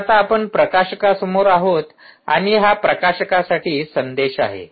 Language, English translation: Marathi, alright, so now we are in front of the publisher and this is the message for the publisher